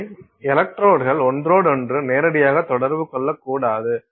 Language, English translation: Tamil, The electrodes should not come in direct contact with each other